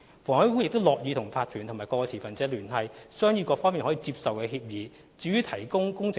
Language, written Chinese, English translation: Cantonese, 房委會亦樂意與法團及各持份者聯繫，商議各方面均可接受的方案。, HA is willing to contact OCs and various stakeholders to work out a proposal acceptable to all parties